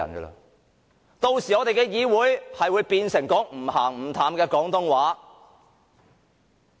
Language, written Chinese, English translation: Cantonese, 屆時，我們議會使用的語言便會變成"唔鹹唔淡"的廣東話。, When that time comes the language used in the legislature will be Cantonese with all sorts of accents